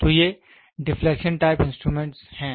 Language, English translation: Hindi, So, these are the deflection type instruments